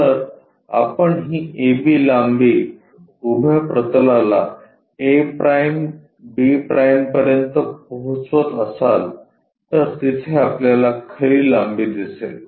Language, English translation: Marathi, If we are transporting this A B length to vertical plane a’ b’ we are straight away seeing true length there